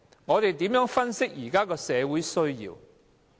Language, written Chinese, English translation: Cantonese, 我們如何分析現時社會的需要？, How do we assess the needs of the present - day society?